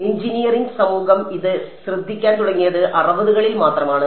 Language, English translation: Malayalam, And the engineering community began to take notice of it only by the 60s ok